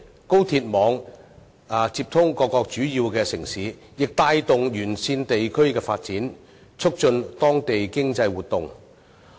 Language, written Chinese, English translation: Cantonese, 高鐵網接通各個主要城市，亦帶動沿線地區的發展，促進當地經濟活動。, The high - speed rail network will link up various major cities driving the development of areas along the railway lines and promoting local economic activities